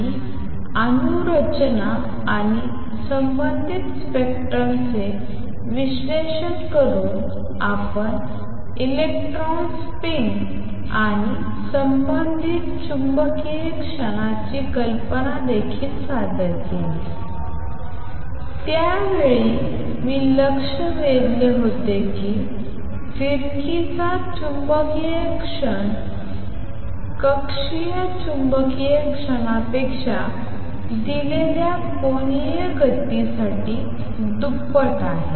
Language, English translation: Marathi, And by analyzing atomic structure and the related spectrum we also introduce the idea of electron spin and associated magnetic moment I pointed out at that time that the magnetic moment of spin is twice as much for given angular momentum as the orbital magnetic moment